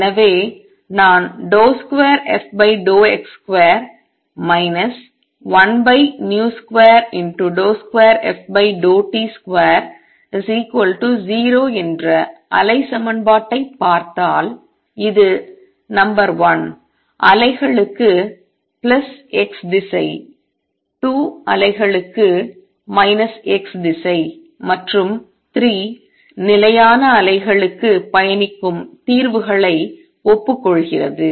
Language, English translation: Tamil, So, if I look at the wave equation which is d 2 f by d x square minus 1 over v square d 2 f by d t square is equal to 0, it admits solutions which are number 1 waves travelling to plus x direction 2 waves to minus x direction and 3 stationary waves